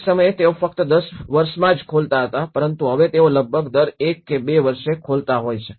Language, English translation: Gujarati, Once upon a time, they used to open only in 10 years but now they are opening almost every 1 or 2 years